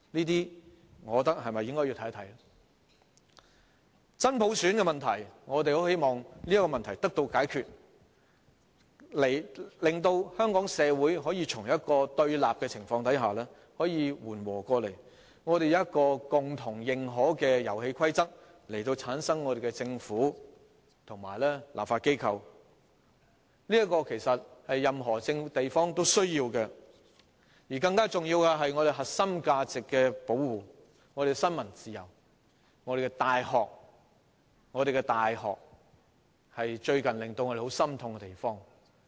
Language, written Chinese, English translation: Cantonese, 此外，我希望真普選的問題能夠得到解決，令香港社會可以從對立的情況緩和下來，採用一套共同認可的遊戲規則，產生我們的政府和立法機關，這是任何一個地方也需要的，而更重要的是，我們必須保護我們的核心價值、我們的新聞自由、我們的大學——我們的大學最近令我們感到十分心痛。, Moreover I hope the issue of genuine universal suffrage can be resolved so that Hong Kong society can ease off from confrontations and adopt a set of rules mutually consented for forming our Government and legislature . This is a necessity at any place in the world . More importantly we must protect our core values our freedom of the press and our universities―what has happened in our universities recently is heart - rending